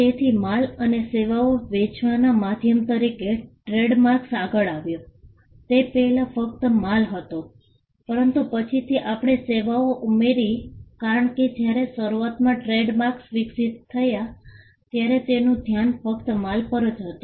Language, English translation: Gujarati, So, trademarks came up as a means to promote and sell goods and services and goods and services earlier it was just goods, but later on we added services because, when trademarks evolved initially the focus was only on goods